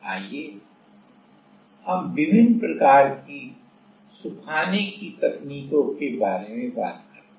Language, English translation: Hindi, Let us talk about different kind of drying technique